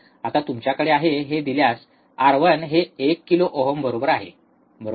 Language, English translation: Marathi, Now given that you are have, R 1 equals to 1 kilo ohm this one, right